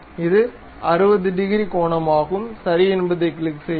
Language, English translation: Tamil, It is 60 degrees angle we are going to have, click ok